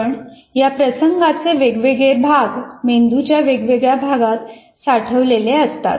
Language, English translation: Marathi, But different parts of the event are stored in different parts of the brain